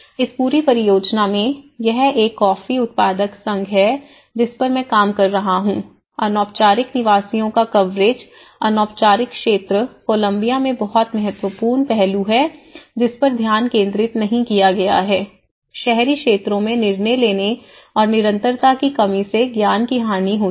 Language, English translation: Hindi, In this segment, in this whole project, because it’s a coffee growers associations which I working on, the coverage of informal dwellers because informal sector is very significant aspect in Colombia which has not been addressed and concentrated decision making in urban areas and lack of continuity and loss of knowledge what happens